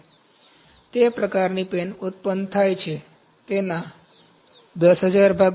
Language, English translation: Gujarati, So, those kind of pens are produced 10,000 Pieces of that, ok